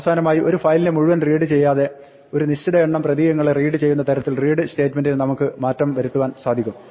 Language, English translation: Malayalam, Finally, we can modify the read statement to not to read the entire file, but to read a fix number of characters